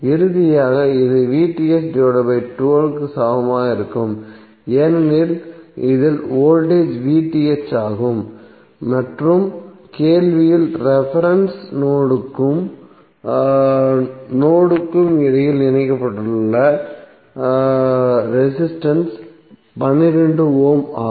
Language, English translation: Tamil, So finally this would be equal to VTh by 12 because the voltage at this is VTh and the resistance connected between the reference node and node in the question is 12 ohm